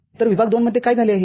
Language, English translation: Marathi, So, in the region II, what has happened